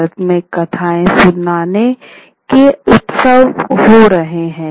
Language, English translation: Hindi, There are many more storytelling festivals happening in India